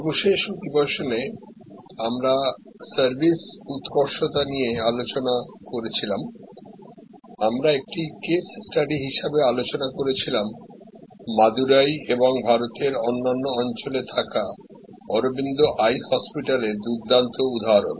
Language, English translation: Bengali, Last session we were discussing about Service Excellence, we were particularly discussing as a case study, the great example of Arvind eye hospital in Madurai and other parts of India now